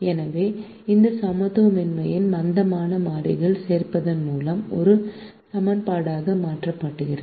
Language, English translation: Tamil, so this inequality is converted to an equation by the addition of slack variables